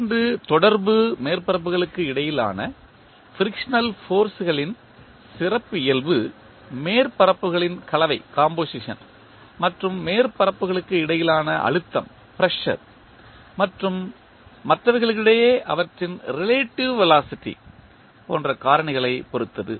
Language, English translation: Tamil, The characteristic of frictional forces between two contacting surfaces depend on the factors such as the composition of the surfaces and the pressure between the surfaces and their their relative velocity among the others